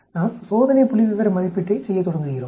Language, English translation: Tamil, We start doing the test statistics estimation